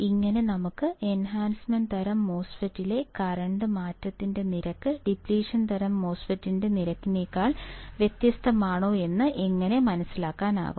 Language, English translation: Malayalam, This is how we can derive whether the rate of change of current in depletion type MOSFET is different than rate of change of current in enhancement type MOSFET